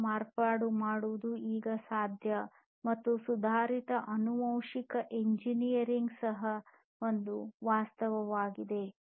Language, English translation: Kannada, Cell modification is possible now, and also advanced genetic engineering is a reality